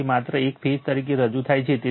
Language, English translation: Gujarati, So, this is represented by only one phase right